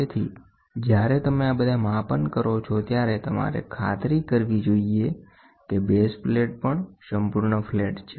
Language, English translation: Gujarati, So, when you do all these measurements, you should make sure the base plate is also perfectly flat